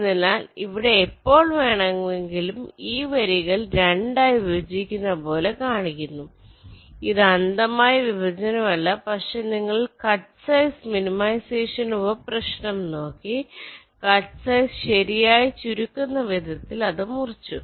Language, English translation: Malayalam, ok, so so here, whenever i am showing these lines as if they are dividing it up into two it is not blind division, but you look at the cut size minimization sub problem, you cut it in such a way that the cutsize is minimized right